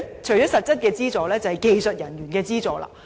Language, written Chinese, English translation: Cantonese, 除了實質資助，還需要技術人員提供資助。, In addition to substantive subsides technical assistance is required too